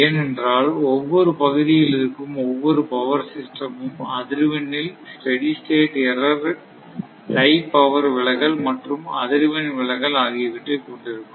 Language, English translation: Tamil, Because because each power system in each area you have your what you call the steady state error in frequency and tie power, right deviation and frequency deviation